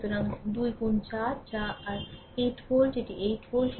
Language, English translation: Bengali, So, 2 into 4 that is your 8 volt right, this is your 8 volt